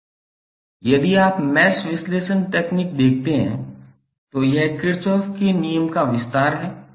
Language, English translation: Hindi, It is if you see the mesh analysis technique it is merely an extension of Kirchhoff's law